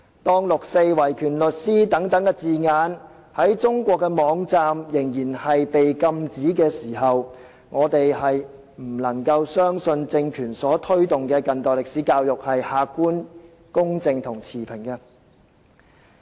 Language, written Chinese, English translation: Cantonese, 當六四和維權律師等字眼在中國網站仍然被禁止，我們不能夠相信由這個政權所推動的近代歷史教育是客觀、公正和持平的。, When words such as 4 June and the human rights lawyers are still banned in Chinese websites we cannot believe that contemporary history education as promoted by this regime will be objective fair and impartial